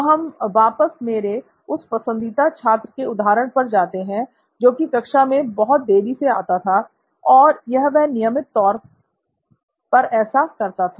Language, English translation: Hindi, So we go back to this illustration of my favourite student who used to come very late to class and very regularly at that